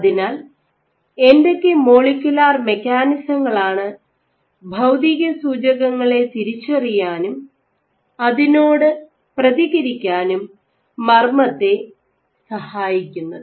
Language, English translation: Malayalam, So, what are the molecular mechanisms that enable the nucleus to sense and respond to physical cues